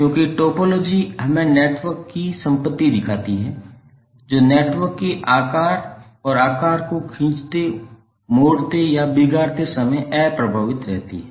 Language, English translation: Hindi, Because the topology shows us the property of the network which is unaffected when we stretch, twist or distort the size and shape of the network